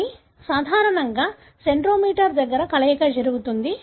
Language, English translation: Telugu, But normally, the fusion happens near the centromere